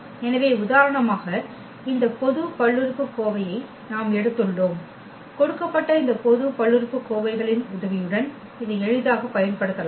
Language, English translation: Tamil, So, for instance we have taken this general polynomial and with the help of these given polynomials we can easily use this